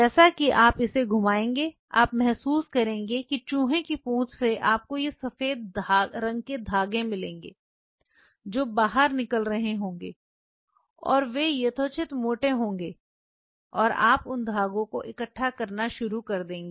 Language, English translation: Hindi, As you will twist it you will realize from the RAT tail you will get this white color threads, which will be coming out and that reasonably thick, but you know and you start collecting those threads something like this white color threads